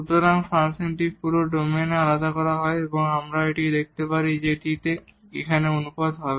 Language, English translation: Bengali, So, the function is differentiable in the whole domain or we can also show that this here the ratio